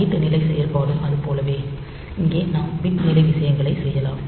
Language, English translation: Tamil, And same as that byte level operation, here we can do bit level things